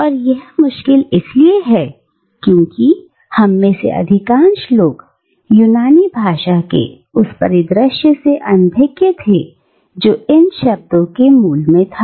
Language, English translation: Hindi, And it is difficult because most of us are not very well aware of the Greek context in which these words had their origin